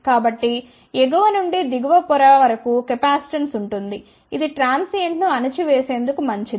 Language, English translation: Telugu, So there will be capacitance from the top to the bottom layer which is good for suppressing the transient